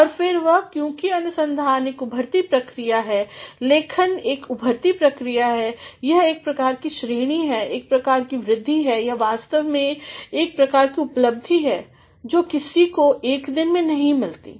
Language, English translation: Hindi, And, then this is because research is an evolving process, writing is an evolving process, it is a sort of continuation, it is a sort of extension, it is actually a sort of accomplishment that one cannot get in one day